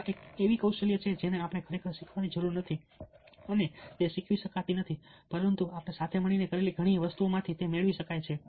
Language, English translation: Gujarati, ok, this is a skill which ah need not and cannot be really taught, but it can be greened from many of the things that we have done together